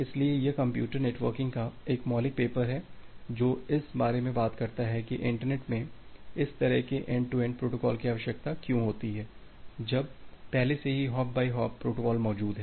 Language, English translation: Hindi, So, it is a fundamental paper in Computer Networking that talks about that, why do you require this kind of end to end protocols in the internet when there is this hop by hop protocols already existing